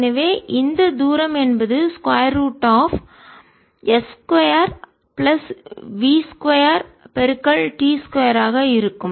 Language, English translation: Tamil, so this distance will be square root, s square plus v square t square